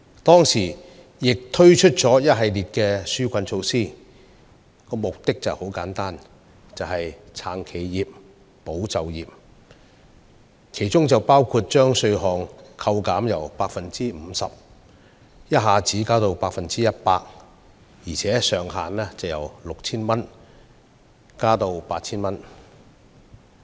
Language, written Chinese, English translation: Cantonese, 當時，政府推出了一系列紓困措施，其目的十分簡單明確，就是要"撐企業、保就業"，當中包括把稅項扣減百分比由 50% 一口氣增至 100%， 而上限亦由 6,000 元調高至 8,000 元。, At that time the Government had introduced a series of relief measures with a very simple and clear purpose namely to support enterprises and safeguard jobs including increasing the percentage of tax deductions from 50 % to 100 % at one stroke and adjusting the ceiling upwards from 6,000 to 8,000